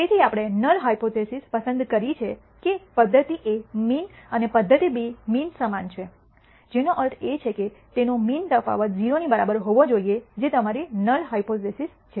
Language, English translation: Gujarati, So, we have chosen the null hypothesis that method A mean and method B mean both are equal which means their difference in the mean should be equal to 0 that is your null hypothesis